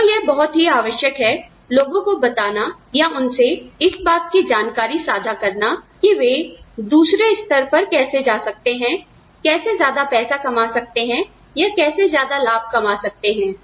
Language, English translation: Hindi, It is to tell people, or to share the information, on specific information, on how to go to the next level, of earning more money, or getting more benefits, or whatever